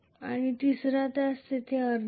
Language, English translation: Marathi, And the third one which does not have a half there